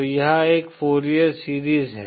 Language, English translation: Hindi, So this is a Fourier series